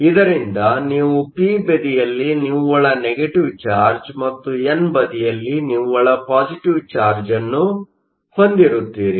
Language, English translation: Kannada, Now we said that electrons move from n to p, so that we have a net positive charge on the n side, and a net negative charge on the p side, which means there is an electrical field